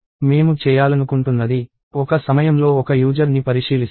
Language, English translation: Telugu, And what I would like to do is go one user at a time